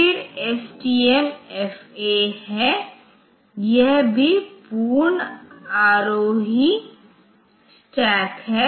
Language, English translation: Hindi, Then STMFA, this is it is it is also full ascending stack